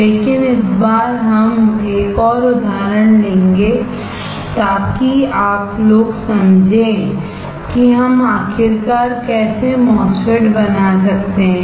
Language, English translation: Hindi, But this time we will take an another example so that you guys understand how we can fabricate finally a MOSFET